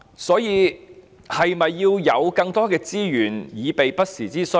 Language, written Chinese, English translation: Cantonese, 所以，是否應該有更多的資源以備不時之需？, Therefore should we not provide more resources for contingency sake?